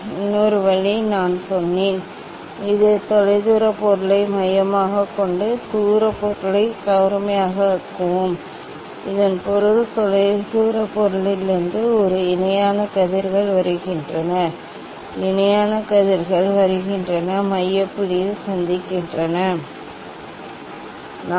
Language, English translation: Tamil, And another way I told that let us this one just focus at the distant object, make it distance object in sharp, so that means that from distance object as a parallel rays are coming, parallel rays are coming and meeting at the focal point means at the cross wire